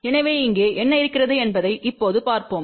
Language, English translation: Tamil, So, let see now what we have here